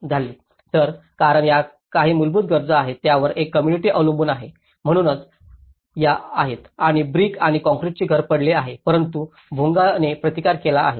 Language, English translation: Marathi, So, because these are some basic needs one a community relies upon, so these are and whereas brick and concrete house has fallen but as the Bonga have resisted